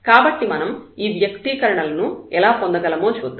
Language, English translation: Telugu, So, let us prove this result, how do we get these expressions